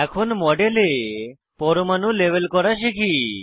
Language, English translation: Bengali, Let us learn to label the atoms in the model